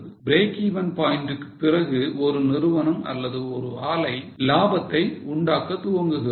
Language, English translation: Tamil, Beyond break even point, a company or a plant starts making profit